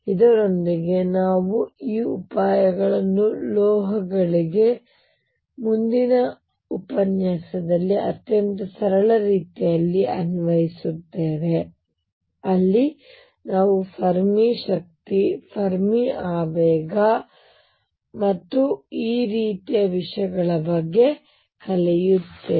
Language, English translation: Kannada, With this we will now apply these ideas to metals in a very simple way in the next lecture, where we learn about Fermi energy Fermi momentum and things like this